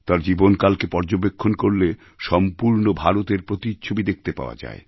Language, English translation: Bengali, A glimpse of his life span reflects a glimpse of the entire India